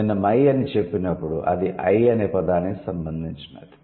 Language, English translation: Telugu, When I say my, that means it's related to the word I